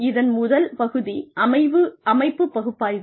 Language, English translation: Tamil, First part of this is, organization analysis